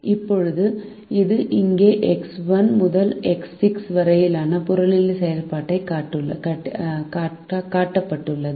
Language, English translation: Tamil, now that is shown here as the objective function here: x one to x six